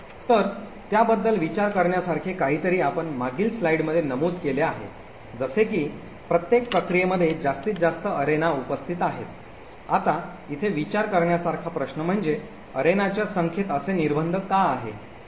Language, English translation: Marathi, So, something to think about we mentioned in the previous slide that each process has a maximum number of arenas that are present, now the question over here to think about is why is there such a restriction in the number of arenas